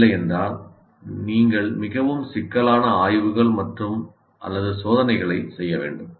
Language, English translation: Tamil, Otherwise, you have to do very complicated surveys and tests